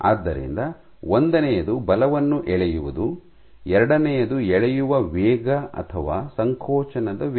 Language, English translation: Kannada, So, in addition to pulling so, one is pulling force, second is pulling rate or rate of contraction